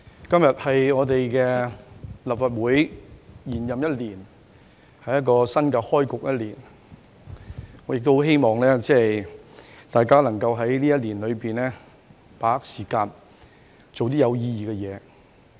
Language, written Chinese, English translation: Cantonese, 代理主席，今天是立法會延任一年開局的新一天，我希望大家今年能夠把握時間，做有意義的事。, Deputy President today is a brand new day that marks the beginning of the Legislative Council following an extension of its tenure by one year . I hope Members can make the best of their time in this legislative session and do something meaningful